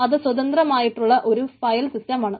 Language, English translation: Malayalam, so it is independent of os file system